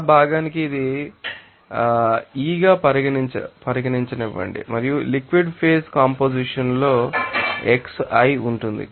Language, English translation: Telugu, Let it be considered as yi for that component and you know that in liquid phase composition will be xi